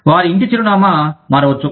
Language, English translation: Telugu, Their home address, may change